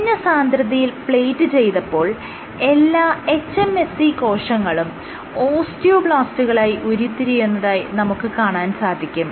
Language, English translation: Malayalam, What they found was when they plated cells at this low density, all the cells hMSCs differentiated into osteoblasts